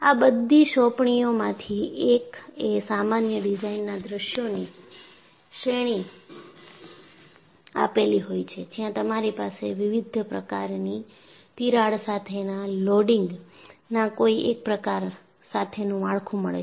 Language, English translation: Gujarati, In fact, one of your assignments gives a series of common design scenarios, where you have a structure with known type of loading with cracks located in various fashion